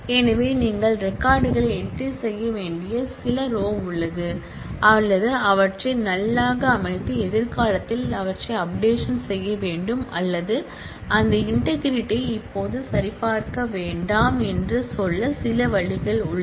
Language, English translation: Tamil, So, there is some order in which you have to enter the records or you have to set them as null and then update them in future and or some ways to say that well do not check this integrity now